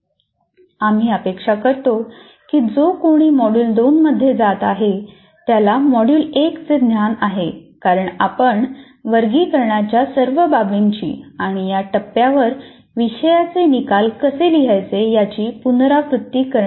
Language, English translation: Marathi, So we expect whoever is going through the module 2, they have the knowledge of module 1 because we are not going to repeat all that, all those elements are the taxonomy and how to write and all that at this point of time